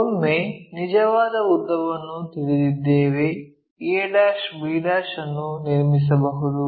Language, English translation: Kannada, Once, we know the true length constructing that a' b' we know, that is done